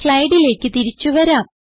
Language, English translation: Malayalam, We will move back to our slides